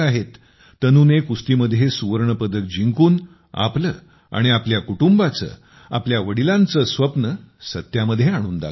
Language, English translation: Marathi, By winning the gold medal in wrestling, Tanu has realized her own, her family's and her father's dream